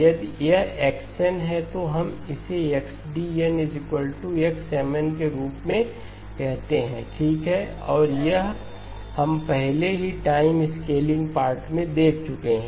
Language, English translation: Hindi, If this is X of n, we call this as XD of n that is equal to X of Mn okay and this we have already looked at in the time scaling part